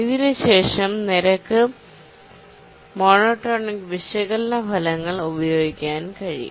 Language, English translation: Malayalam, And then we can use the rate monotonic analysis results